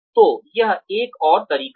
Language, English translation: Hindi, So, that is another way